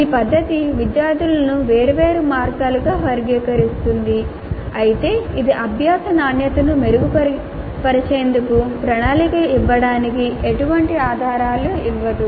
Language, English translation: Telugu, While this method classifies students into different categories, it does not provide any clue to plan for improvement of quality of learning